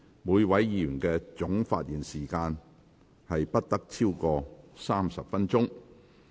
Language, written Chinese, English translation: Cantonese, 每位議員的總發言時限不得超過30分鐘。, The total speaking time limit for each Member is 30 minutes